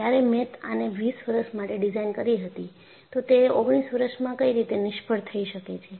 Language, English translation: Gujarati, WhenI had designed it for 20 years, why it failed in 19 years